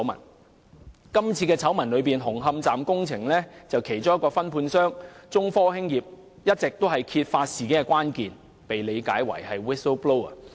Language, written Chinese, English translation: Cantonese, 在今次醜聞中，紅磡站工程的其中一個分判商中科興業有限公司，一直是揭發事件的關鍵，被視為 "whistle-blower"。, In the end this scandal of the SCL project causing serious harm to the public interest has erupted . As far as this scandal is concerned China Technology Corporation Limited one of the subcontractors for the construction works at Hung Hom Station has been holding the key to revealing the incident and is considered the whistle - blower